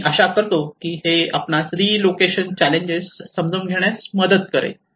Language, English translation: Marathi, I hope this will help you in understanding the challenges in the relocation contexts